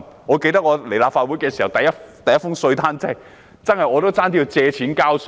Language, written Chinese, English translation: Cantonese, 我記得，我加入立法會後收到的第一份稅單，差點要借錢交稅。, As I recall when I received my first tax demand note after joining the Council I almost had to take out a loan for tax payment